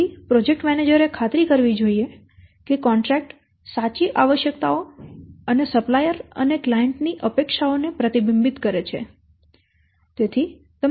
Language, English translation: Gujarati, But ensure that the contract reflects the true requirements and expectations of supplier and client